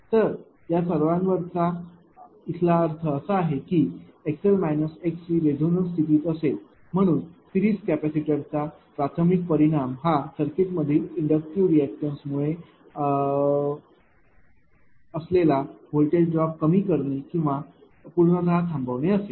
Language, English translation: Marathi, So, if all of it means that your x l minus x c it will be resonance condition right therefore, the primary effect of the series capacitor is to minimise or even suppress the voltage drop caused by the inductive reactance in the circuit